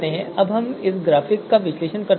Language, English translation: Hindi, Now we can analyze this graphic